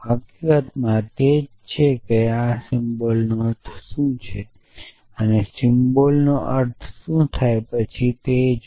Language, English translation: Gujarati, In fact, this is what gives a definition to what does this symbol and mean what does the symbol implies mean and so on